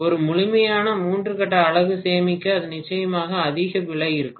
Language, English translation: Tamil, To save a complete three phase unit it will be definitely more expensive